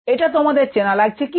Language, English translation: Bengali, does this appear familiar